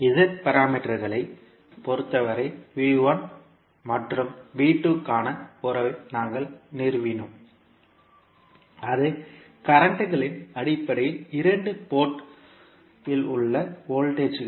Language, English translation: Tamil, So in case of z parameters we stabilized the relationship for V1 and V2 that is the voltages at the two ports in terms of the currents